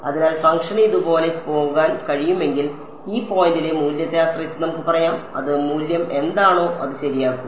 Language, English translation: Malayalam, So, the next kind of if the function can go like this let us say depending on the value at this point correct whatever it is value is